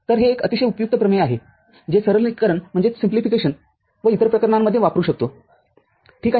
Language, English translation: Marathi, So, this is also a very useful theorem which is which can used for simplification and other cases, ok